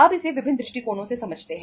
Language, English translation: Hindi, Now let us understand it from different perspectives